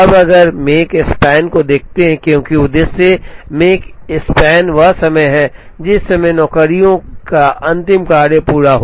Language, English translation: Hindi, Now if we look at Makespan as the objective Makespan is the time, at which the last of the jobs is completed